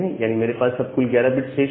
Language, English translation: Hindi, So, I have 11 bit total 11 bits remaining